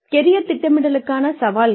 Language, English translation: Tamil, Challenges to Planning Careers